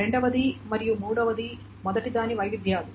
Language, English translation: Telugu, So the second and third are the variations of the first